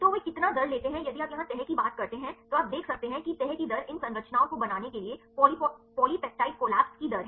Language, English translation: Hindi, So, how much the rate they take then if you talk about the folding here you can see the rate of folding is the rate the polypeptide collapse right to form these structures